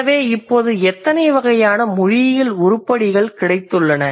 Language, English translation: Tamil, So, now we got how many different kinds of linguistic items